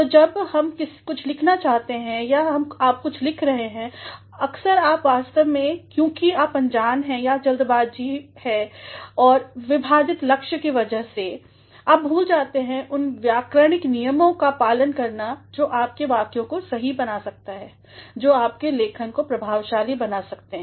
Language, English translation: Hindi, So, when we write something or when you write something at times you actually either because you are ignorant or because of a sick hurry and divided aim; you forget to stick to the grammatical rules that could make your sentences correct, that could make your writing effective